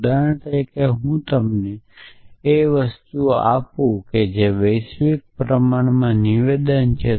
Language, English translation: Gujarati, So, for example, I see you or things like that, and this is a universally quantified statement